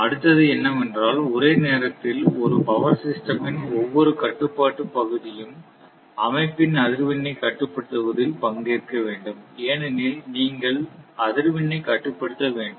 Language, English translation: Tamil, Next is that simultaneously your each control area of a power system should participate in regulating the frequency of the system because you have to regulate the frequency